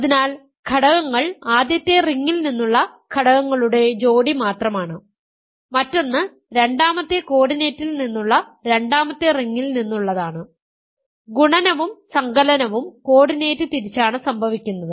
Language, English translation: Malayalam, So, elements are just pairs of elements one from the first ring, the other from second coordinate is from the second ring and multiplication and addition happen coordinate wise